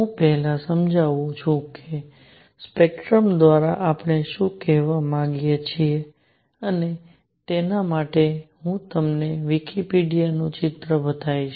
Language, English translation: Gujarati, Let me first explain what do we mean by spectrum and for that I will show you a picture from Wikipedia